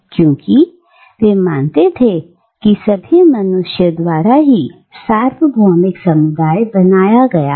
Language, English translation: Hindi, Because, they believe that all human beings formed part of a universal community